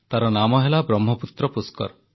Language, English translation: Odia, It's called Brahmaputra Pushkar